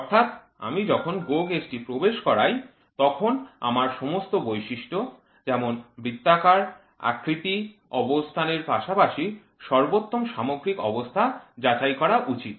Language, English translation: Bengali, So, when I insert the GO gauge I should check for all for the all features such as roundness, size, location as well as the maximum material conditions